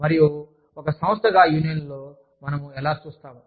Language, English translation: Telugu, How do we view unions, as an organization